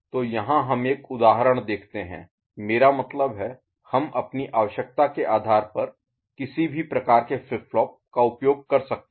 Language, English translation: Hindi, So, here we look at an example where I mean, we can use any type of flip flop depending on our requirement